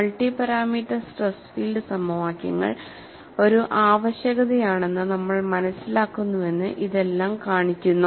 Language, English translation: Malayalam, All this show, that we are converging into an understanding that multi parameters stress field equations are a necessity